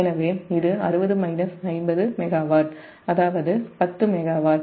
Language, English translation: Tamil, so it is sixty minus fifty megawatt, that is ten megawatt